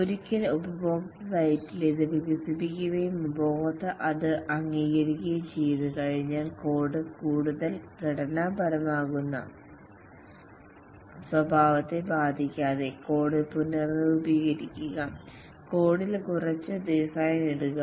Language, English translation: Malayalam, Once it is developed at the customer site and the customer accepts it, restructure the code without affecting the behavior such that the code becomes more structured, put some design into the code